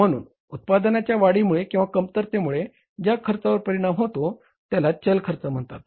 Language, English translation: Marathi, So, the cost which is getting affected by increasing or decreasing in the production, that is the variable cost